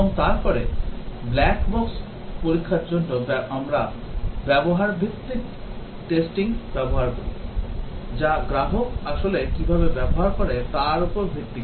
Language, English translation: Bengali, And then for black box testing do we use a usage based testing, so that is based on how the customer actually uses